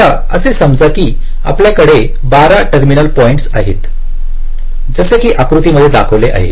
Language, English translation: Marathi, now assume that there are twelve terminal points, as shown in this diagram